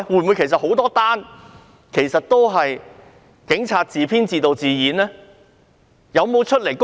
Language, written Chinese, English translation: Cantonese, 會否有很多宗事件其實也是警察自編自導自演的呢？, Is it possible that many incidents were actually staged by the Police?